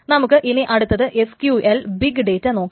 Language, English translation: Malayalam, We will next go over no SQL and big data